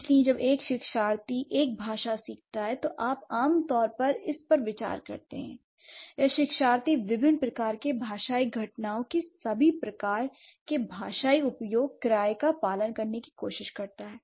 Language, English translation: Hindi, So, when a learner learns a language, what you do, you generally, you consider it or the learner tries to observe all kinds of linguistic usage of the different kinds of linguistic phenomena, right